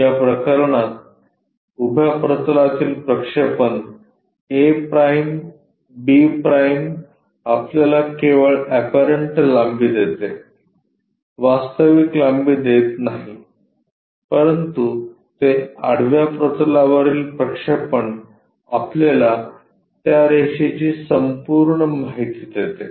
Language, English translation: Marathi, In that case the projection on the vertical plane a’ b’ gives us only the apparent length, not true length whereas, it is projection on the horizontal plane gives us complete information of that line